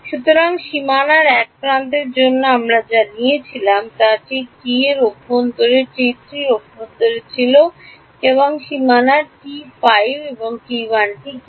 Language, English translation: Bengali, So, for an edge on the boundary what we had taken was T 5 was in the interior now the T 5 in the interior: what is that T 5 on the boundary T 1